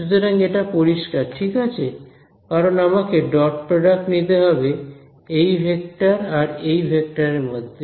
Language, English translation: Bengali, So, let me so is that is clear right because I have to take the dot product between this vector and this vector over here